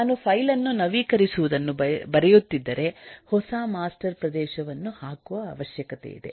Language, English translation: Kannada, If I am writing the updating the file, the new master area need to be put up and so on